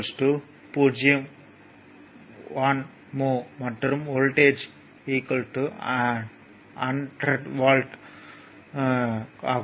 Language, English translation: Tamil, 1 mho, and voltage is 100 volt